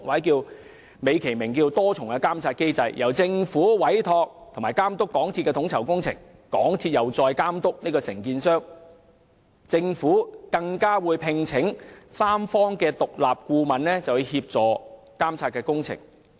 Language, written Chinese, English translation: Cantonese, 在美其名的多重監察機制下，政府委託並監督港鐵公司統籌工程，港鐵公司再監督承建商，政府更會聘請第三方獨立顧問協助監察工程。, Under this set - up dignified by the name of multi - level monitoring mechanism the Government should supervise MTRCLs coordination of the entrusted construction works and MTRCL should in turn supervise the contractor; furthermore the Government is to engage an independent third - party consultant to help monitor the works